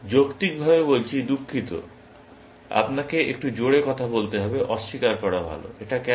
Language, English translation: Bengali, Rationally speaking, sorry, you have to speak a bit louder; deny is better; why is it